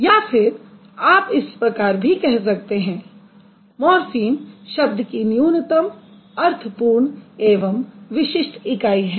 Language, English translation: Hindi, So, remember, morphems are the minimal, meaningful, distinctive unit of a word